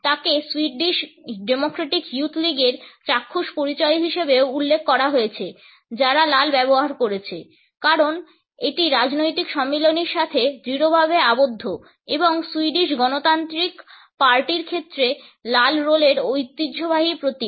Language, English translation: Bengali, She is also referred to the visual identity of the Swedish Democratic Youth League which has used red as it is a strongly tied to the political affiliations and the traditional symbol of the red rolls as far as the Swedish Democratic Party is concerned